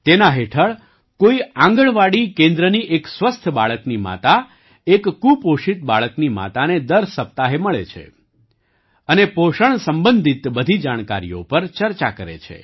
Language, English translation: Gujarati, Under this, the mother of a healthy child from an Anganwadi center meets the mother of a malnourished child every week and discusses all the nutrition related information